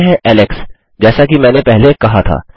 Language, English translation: Hindi, Lets say alex, like I said before